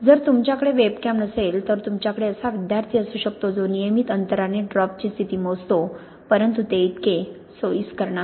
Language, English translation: Marathi, If you do not have a webcam then you can have a student who comes in and measures the position of the drop at regular intervals but that is not quite so convenient